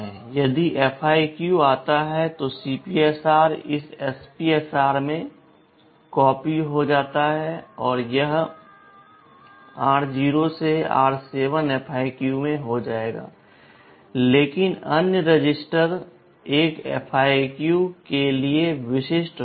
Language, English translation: Hindi, If interrupt FIQ comes then CPSR gets copied into this SPSR and this r0 to r7 will be there in FIQ, but the other registers will be specific to a FIQ